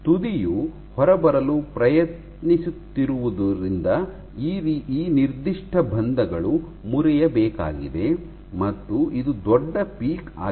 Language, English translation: Kannada, Now as the tip is trying to come off those nonspecific bonds have to break and this is that